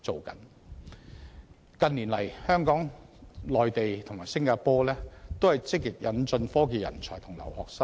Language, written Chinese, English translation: Cantonese, 近年，香港、內地和新加坡均積極引進科技人才和留學生。, In recent years Hong Kong the Mainland and Singapore have been actively admitting technology talents and students studying abroad